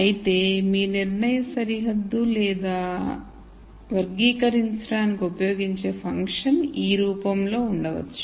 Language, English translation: Telugu, However, if your decision boundary are the function that you are going to use to classify is of this form